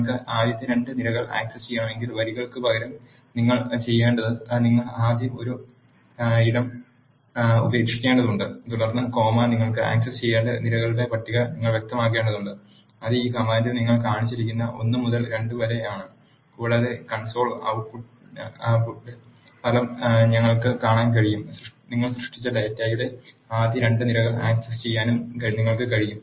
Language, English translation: Malayalam, If you want to access the first 2 columns; instead of rows what you need to do is you need to leave a space first and then comma, and you need to specify the list of columns you need to access that is one to 2 that is shown here in this command and we can see the result on the console output, you are able to access the first 2 columns of the data from which you have created